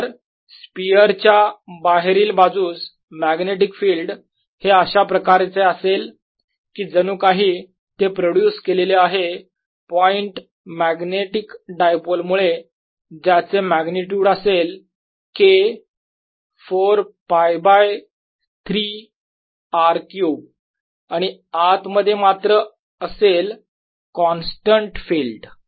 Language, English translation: Marathi, so outside the magnetic field, outside this sphere is like that produced by a point magnetic dipole with magnitude k four pi by three r cubed, and inside it's a constant field